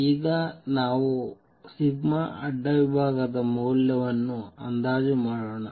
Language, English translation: Kannada, Let us now estimate the value of cross section sigma